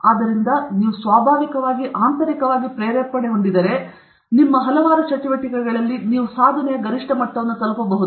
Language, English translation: Kannada, So, if you are intrinsically motivated, in many of your activities, you can reach that peak levels of achievement